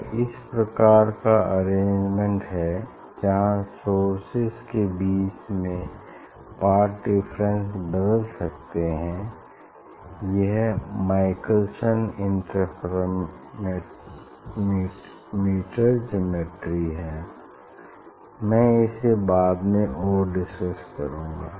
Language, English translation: Hindi, if this type of arrangement is there where path difference between two light which will interfere, I will discuss more about this is a Michelson interferometer geometry, I will discuss more about this